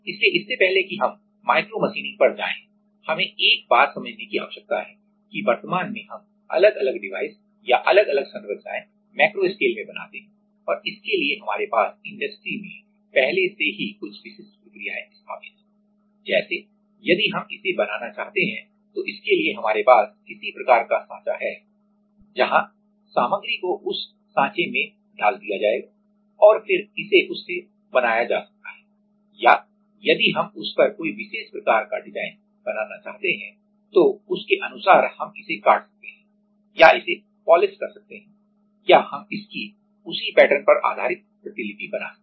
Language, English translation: Hindi, So, before we go to micromachining we need to understand one thing that is currently in macro scale we make different devices or different structures and for that we have already some specific processes are set up in industry right like you can if we want to make this so if we want to make this then this has some kind of mould where the material will be put in that mould and then it can be made from that or also like if we want make some particular kind of design on that then accordingly we can cut it or we can polish it or we can we can scribe it to make exactly that pattern